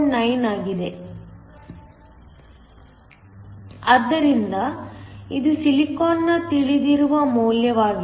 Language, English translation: Kannada, 9, so that is the known value for silicon